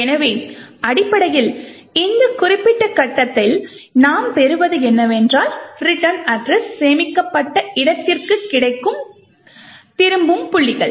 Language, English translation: Tamil, So, essentially at this particular point what we obtain is that return points to where the return address is stored